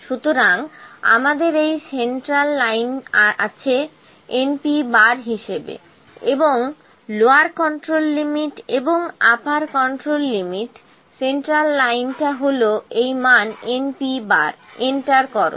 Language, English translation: Bengali, So, we have this centre line as our n P bar and lower control limit and upper control limit, central line is this value n P bar, enter